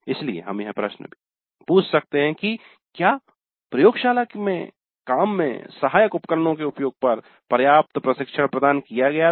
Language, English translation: Hindi, So we can ask a question, adequate training was provided on the use of tools helpful in the laboratory work